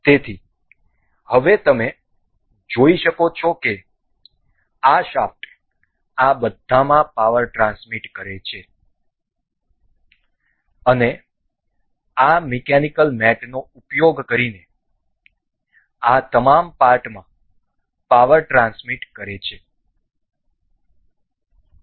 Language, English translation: Gujarati, So, now you can see this shaft transmits power to all of the transmits the power to all of these particular parts using this mechanical mates